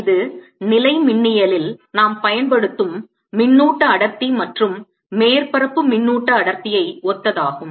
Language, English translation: Tamil, this is similar to the charge density and surface charge density that we use in electrostatics